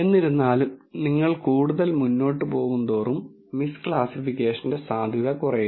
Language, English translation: Malayalam, However, as you go further away, the chance of miss classification keeps coming down